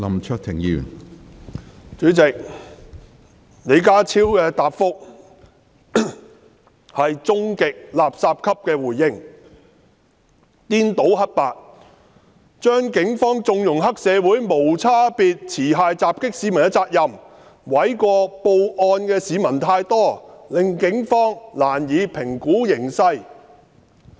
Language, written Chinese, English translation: Cantonese, 主席，李家超的答覆是"終極垃圾級"的回應，顛倒黑白，將警方縱容黑社會無差別持械襲擊市民的責任，諉過於報案的市民太多，令警方難以評估形勢。, President John LEEs reply has reached the standard of absolute nonsense by confusing right and wrong . He tried to shirk the responsibility of the Police in condoning triad members indiscriminately attacking members of the public with weapons and put the blame on those members of the public for making too many calls to the Police thus making it difficult for the Police to assess the situation